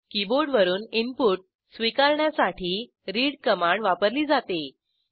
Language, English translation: Marathi, The read command is used to accept input from the keyboard